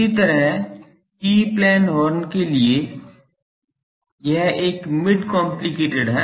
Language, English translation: Hindi, Similarly, for E plane horns, now it is a mid complicate this